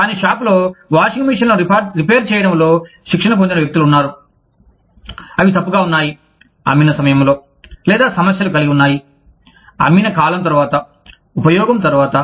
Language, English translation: Telugu, But, the shop also has people, trained in repairing the washing machines, that are either faulty, at the time of sale, or, have problems, after a period of selling, after use